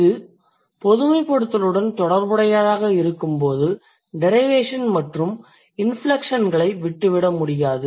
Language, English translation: Tamil, When it is the, when it's related to the generalizations, we cannot do away with the derivations and the inflections